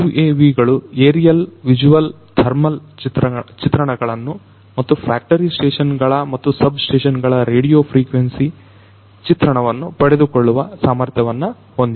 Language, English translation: Kannada, UAVs are also capable of taking aerial imagery, visual imagery, thermal imagery, and also radio frequency imagery of factory stations and substations